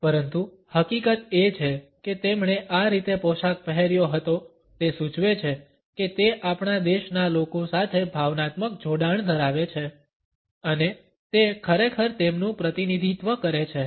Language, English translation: Gujarati, But the very fact that he was dressed in this manner suggested that he had an emotional attachment with the masses of our country and he truly represented them